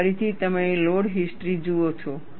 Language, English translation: Gujarati, Here again, you see the load history